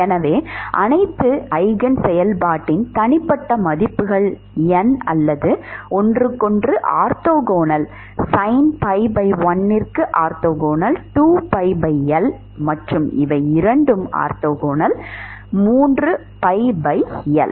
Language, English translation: Tamil, So, all the eigenfunctions for individual values of n or orthogonal to each other, sin pi by l is orthogonal to sin 2 pi by L and both these are orthogonal to sin 3 pi by L